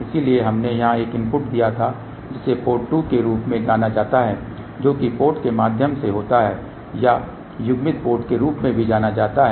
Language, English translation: Hindi, So, we had giving a input here this is known as port 2 which is a through put or also known as coupled port